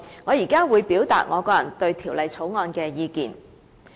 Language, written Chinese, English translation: Cantonese, 我現在會表達我個人對《條例草案》的意見。, I will now express my personal opinions on the Bill